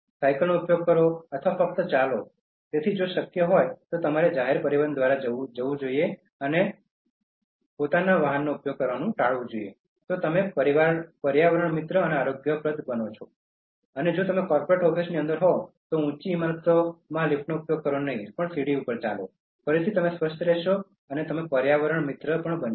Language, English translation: Gujarati, Use bicycle or simply walk, so if it is possible if you can even avoid going by public transport and using cycle by that way you will become eco friendly and healthy and if you are inside corporate offices, tall buildings do not use lifts, walk up the stairs, again you will be healthy and you will be eco friendly also